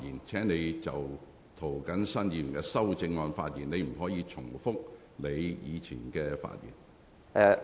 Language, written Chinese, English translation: Cantonese, 請你就涂謹申議員的修正案發言，不要重複先前的論點。, Please speak on Mr James TOs amendment and do not repeat your previous viewpoints